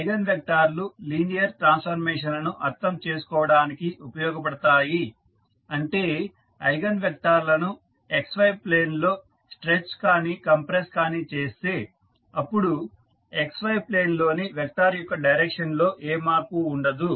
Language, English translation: Telugu, Eigenvectors are used to make the linear transformation understandable that means the eigenvectors if you stretch and compress the vector on XY plane than the direction of the vector in XY plane is not going to change